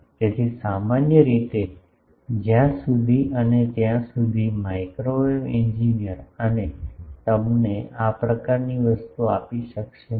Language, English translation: Gujarati, So, in generally unless and until a on a microwave engineer can give you a this type of thing